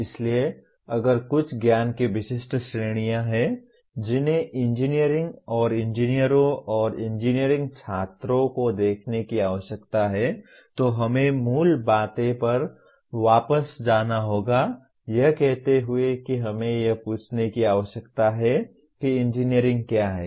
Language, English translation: Hindi, So if there are some specific categories of knowledge that engineering/ engineers and engineering students need to look at so we have to get back to basics saying that we need to ask what is engineering